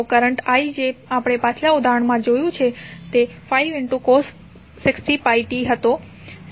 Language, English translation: Gujarati, So, current i which we saw in the previous example was 5 cos 60 pi t